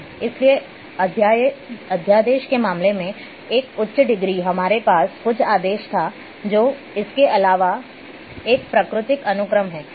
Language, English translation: Hindi, So, one higher degree in case of ordinal we had some order here through is a natural sequence what in addition